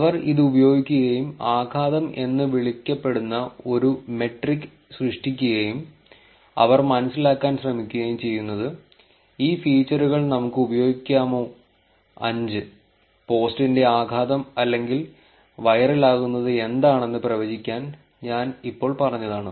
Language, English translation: Malayalam, They used this and created a metric called impact and what they were trying to figure out is that whether we can use these features, the five, ones that I just now said to predict what impact of the post is going to be or virality of the post is going to be and things like that